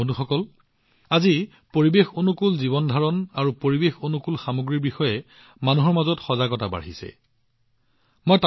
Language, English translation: Assamese, Friends, today more awareness is being seen among people about Ecofriendly living and Ecofriendly products than ever before